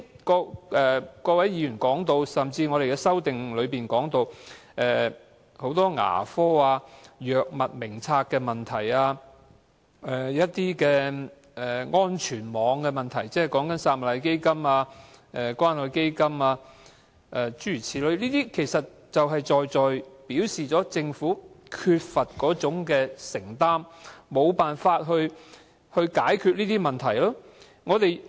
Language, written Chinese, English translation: Cantonese, 剛才各位議員提到，甚至我們的修正案中亦提及很多醫療問題，例如牙科、《醫院管理局藥物名冊》的問題，還有安全網的問題，即撒瑪利亞基金、關愛基金等諸如此類，其實就是在在表示政府缺乏承擔，沒想辦法去解決這些問題。, Members have also sought to bring up a number of health care issues in the amendments to the motion such as the dental care service the problems of the Hospital Authority Drug Formulary and the problems of the safety net provided by the Samaritan Fund and the Community Care Fund etc . These precisely reflect the Governments lack of commitment and its reluctance to look for solutions